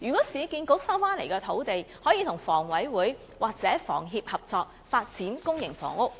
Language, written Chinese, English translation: Cantonese, 市建局收回土地後，可否與房委會或香港房屋協會合作，發展公營房屋？, After the acquisition of sites can URA cooperate with HKHA or the Hong Kong Housing Society to develop public housing?